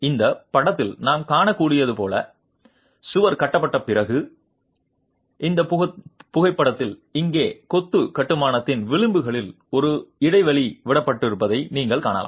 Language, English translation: Tamil, The wall is constructed and after the wall is constructed as you can see in this picture, this photograph here, you can see that a gap is left at the edges of the masonry construction